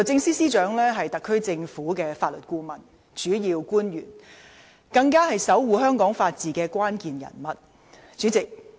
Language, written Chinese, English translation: Cantonese, 司長是特區政府的法律顧問及主要官員，更是守護香港法治的關鍵人物。, The Secretary for Justice is the legal adviser and a principal official of the SAR Government and she is even the key figure safeguarding Hong Kongs rule of law